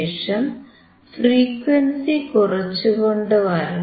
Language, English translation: Malayalam, We still keep on decreasing the frequency